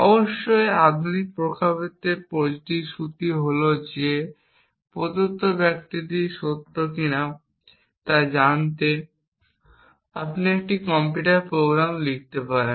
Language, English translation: Bengali, Of course, in the modern context the promise is that you can write a computer program to tell you whether the given sentence is true or not